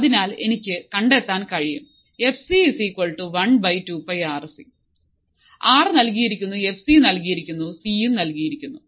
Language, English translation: Malayalam, So, I can find fc as it equals to one upon 2 pi R C; R is given; f c is given; C is given